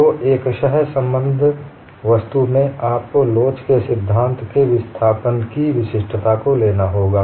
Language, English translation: Hindi, So, in multiply connected objects, you have to invoke uniqueness of displacement in theory of elasticity